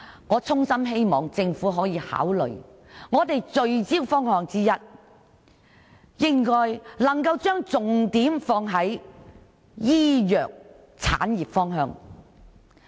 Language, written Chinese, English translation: Cantonese, 我衷心希望政府考慮聚焦的方向之一，是把重點放在醫藥產業方面。, I earnestly hope that the pharmaceutical industry is one of the focused areas of development to be considered by the Government